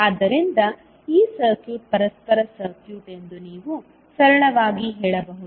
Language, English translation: Kannada, So, you can simply say that this particular circuit is reciprocal circuit